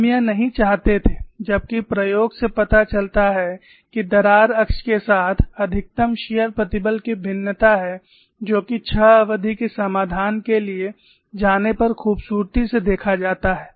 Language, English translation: Hindi, Whereas, the experiment shows there is a variation of maximum shear stress along the crack axis which is beautifully captured when you go for a six term solution